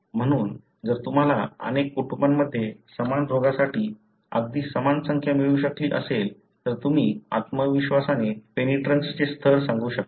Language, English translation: Marathi, So, if you could get a very similar number for the same disease in a number of families, you can with confidence say the penetrance level